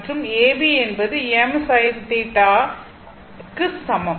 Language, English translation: Tamil, And A B is equal to I m sin theta, right